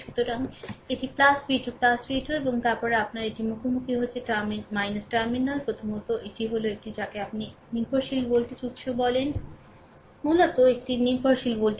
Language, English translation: Bengali, So, it is plus v 2 plus v 2 right and then your it is encountering minus terminal, first, it is it is a it is a what you call it is a dependent voltage source, right, basically is a dependent voltage source